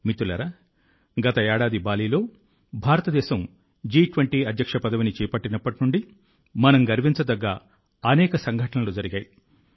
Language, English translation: Telugu, Friends, since India took over the presidency of the G20 in Bali last year, so much has happened that it fills us with pride